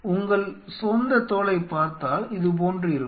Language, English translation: Tamil, If you look at your own skin to the something like this is